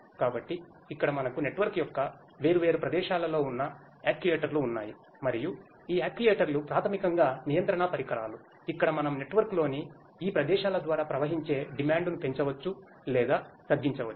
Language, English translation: Telugu, So, here we have the actuators which are located at different locations of the network and these actuators are basically control devices, where we can increase or decrease the demand flowing through these flowing through these locations in the network